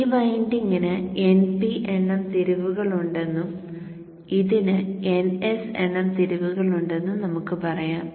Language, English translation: Malayalam, So let us say this winding is having nb number of turns and this is having an S number of terms